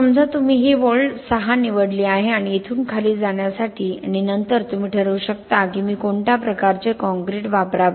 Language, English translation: Marathi, Let us say you picked this line 6 and from here to go down and then you can decide for achieving a particular life which type of concrete I should use